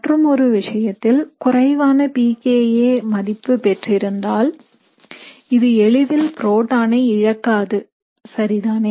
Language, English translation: Tamil, Whereas, in other case, because this would have a lower pKa, this would not be deprotonated very easily, right